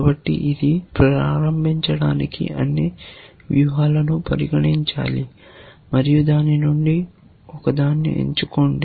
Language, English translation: Telugu, So, it must consider all strategies to begin with and then, choose one from that